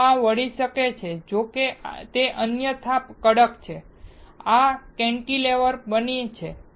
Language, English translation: Gujarati, If this can bend, though it is stiff otherwise, then this becomes cantilever